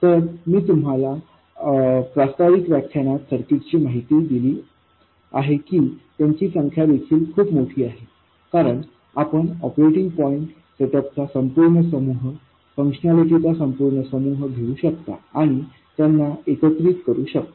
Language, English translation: Marathi, So, the number of circuits that you see, this I alluded to in the introductory lecture also, is very large, because you can take a whole bunch of operating point setups, whole bunch of functionalities and combine them together